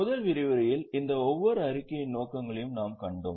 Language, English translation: Tamil, In the first session we had seen the purposes of each of these statements